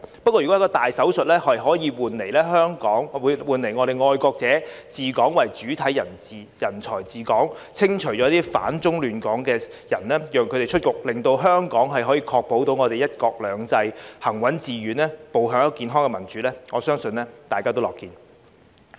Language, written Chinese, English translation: Cantonese, 如果一個大手術可以換來愛國者為主體人才治港，清除反中亂港的人，讓他們出局，令香港確保"一國兩制"行穩致遠，步向健康的民主，我相信大家也樂見。, If a major operation can bring in patriots as the main body of talents to administer Hong Kong and get rid of or oust those who oppose China and disrupt Hong Kong so that Hong Kong can ensure the steadfast and successful implementation of one country two systems and move towards healthy democracy I believe we will all be happy to see that